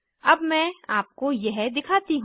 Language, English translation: Hindi, Let me show this to you